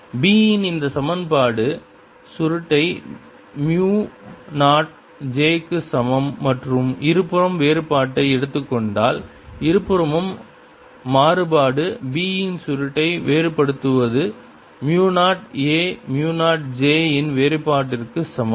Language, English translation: Tamil, if i look this equation, curl of b is equal to mu naught j and take the divergence on both sides, divergence of both sides, divergence of curl of b is equal to divergence of mu zero, a mu zero, divergence of j